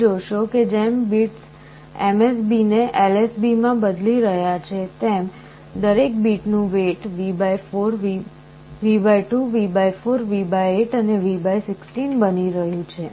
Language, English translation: Gujarati, So, you see as the bits are changing MSB to LSB the weight of each of the bit is becoming V / 2, V / 4, V / 8, and V / 16